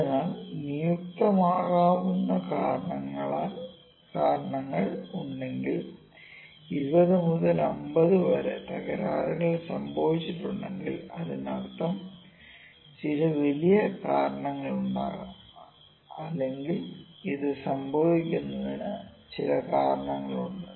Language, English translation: Malayalam, So, if causes assignable so 20 to 50 defective is have happened that might mean that there is some big cause or there is some reason there is some reason because of this is happened